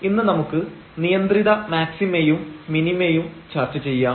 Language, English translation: Malayalam, So, today we will discuss the Constrained Maxima and Minima